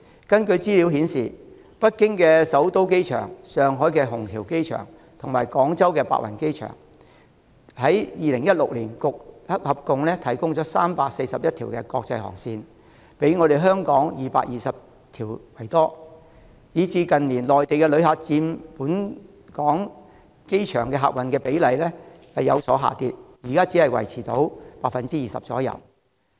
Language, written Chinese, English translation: Cantonese, 根據資料顯示，北京首都國際機場、上海虹橋國際機場及廣州白雲國際機場，於2016年合共提供341條國際航線，比香港的220條為多，以致近年內地旅客佔本港機場的客運量比例有所下跌，現在只維持在 20% 左右。, As shown by information in 2016 the Beijing Capital International Airport Shanghai Hongqiao International Airport and the Guangzhou Baiyun International Airport provided a total of 341 international routes more than the 220 provided by Hong Kong . Consequently the proportion of Mainland visitors in passenger throughput of the Hong Kong airport has dropped in recent years currently standing only at around 20 %